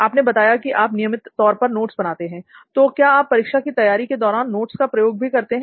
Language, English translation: Hindi, You said you write notes regularly, so do you refer those notes while you prepare for the exam